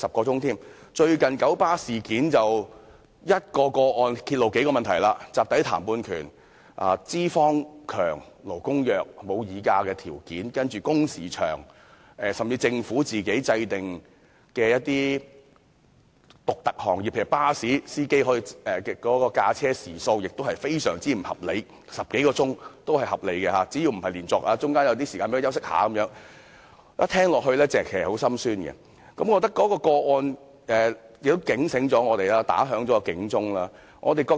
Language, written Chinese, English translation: Cantonese, 最近九龍巴士有限公司的一宗個案揭露了數個問題，包括集體談判權；資方強，勞工弱，沒有議價條件；工時長，甚至政府就一些特定行業訂立的規定，例如巴士司機的駕車時數，亦非常不合理，因為根據有關規定，司機駕駛10多小時也屬合理，只要不是連續工作及讓司機有休息時間便可，令人聽到也感到很心酸。, A recent case involving the Kowloon Motor Bus 1933 Limited KMB has revealed problems in several respects including the right to collective bargaining the situation of the employers being strong while the workers being weak without any bargaining power and long working hours and worse still the regulations made by the Government for specific industries such as the driving hours of bus drivers are most unreasonable because under the regulations it is still reasonable for a driver to drive for over 10 hours as long as the driver does not drive continuously and is given a rest break . How pitiable